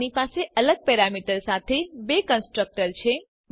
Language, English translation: Gujarati, We have two constructor with different parameter